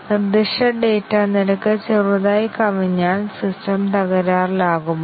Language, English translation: Malayalam, If it slightly exceeds the specified data rate, does the system crash